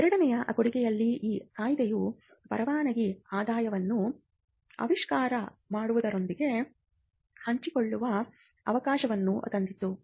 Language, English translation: Kannada, In the second contribution was the Act brought in a provision to share the license income with the inventors